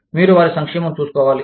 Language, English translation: Telugu, You have to look after, their welfare